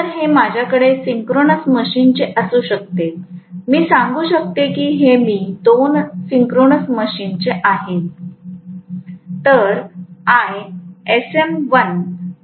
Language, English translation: Marathi, So, this can be I of synchronous machine, one let me say this is I of synchronous machine two